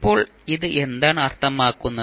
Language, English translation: Malayalam, Now, what does it mean